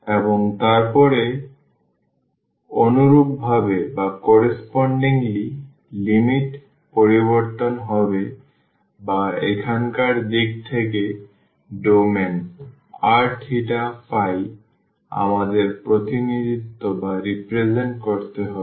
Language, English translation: Bengali, So, and then correspondingly the limits will change or the domain in terms of now, r theta phi we have to represent